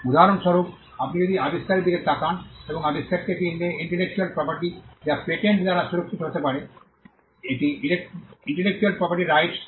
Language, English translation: Bengali, For instance, if you look at if you look at invention, and invention is an intellectual property which can be protected by a patent, which is an intellectual property right